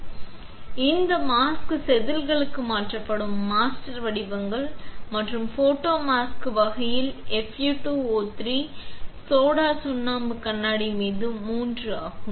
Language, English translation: Tamil, So, this mask are master patterns which are transferred to wafers and the types of photomask are the Fe 2 O 3 on soda lime glass